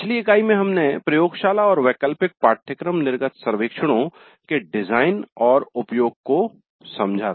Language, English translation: Hindi, In the last unit, we understood the design and use of laboratory and elective course exit surveys